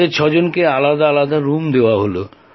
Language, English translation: Bengali, All six of us had separate rooms